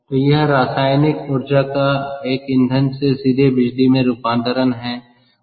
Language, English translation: Hindi, so this is conversion of chemical energy from a fuel directly into electricity